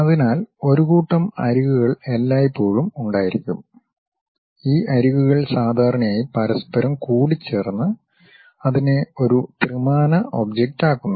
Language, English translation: Malayalam, So, set of edges always be there and these edges usually intersect with each other to make it a three dimensional object